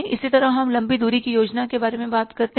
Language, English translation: Hindi, Similarly, we talk about the long range plan